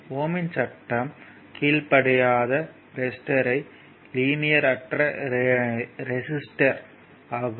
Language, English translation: Tamil, So, so, resistance they does not obey Ohm’s law is known as non linear resistor